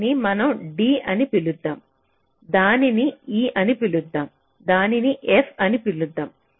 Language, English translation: Telugu, lets call it d, lets call it e, lets call it f